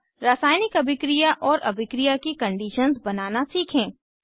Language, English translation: Hindi, Now lets learn to draw chemical reactions and reaction conditions